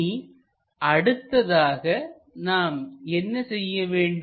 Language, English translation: Tamil, Further what we have to do is